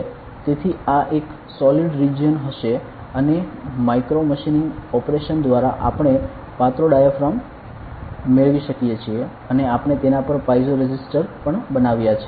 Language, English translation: Gujarati, So, this will be a solid region and by machining micromachining operation we have got a thin diaphragm and we have also build piezo resistors on it ok